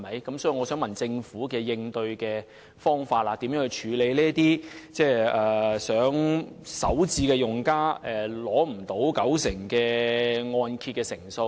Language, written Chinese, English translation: Cantonese, 因此，我想問政府有何應對方法，如何處理這些首次置業用家無法取得九成按揭的問題？, Thus may I ask how the Government will address the issue and how it will deal with the problem of potential first - time owner - occupiers failing to get mortgage loans with LTV ratio of 90 % ?